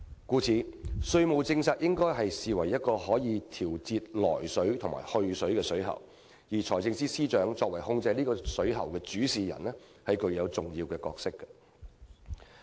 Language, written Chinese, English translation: Cantonese, 故此，稅務政策應被視為一個可以調節"來水"和"去水"的水喉，而財政司司長作為控制這個水喉的主事人，具有重要角色。, Hence our tax policy should be regarded as a pipe which regulates the inflow and outflow of water while the Financial Secretary is the one having the important role of controlling the pipe